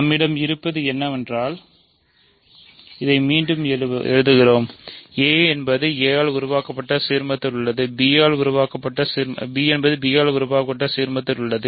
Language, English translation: Tamil, So, what we have is, just rewriting this a is contained in ideal generated by a is contained in the ideal generated by b